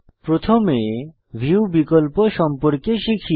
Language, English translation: Bengali, Now first lets learn about View options